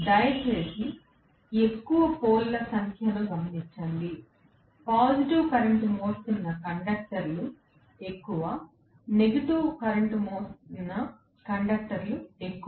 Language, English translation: Telugu, Please note the more the number of poles, the more will be the conductors that are carrying positive current, the more will be the conductors that are carrying negative current